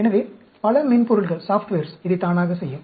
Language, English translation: Tamil, So, many softwares will automatically do this